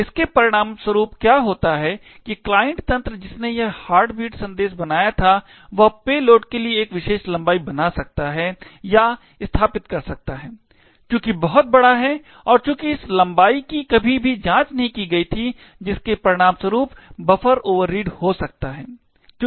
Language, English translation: Hindi, So, as a result of this what could happen was that the client system which created this heartbeat message could create or set a particular length for the payload which is very large and since this length was never checked it could result to the buffer overread